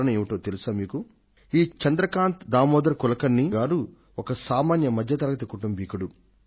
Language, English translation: Telugu, Shri Chandrakant Kulkarni is an ordinary man who belongs to an average middle class family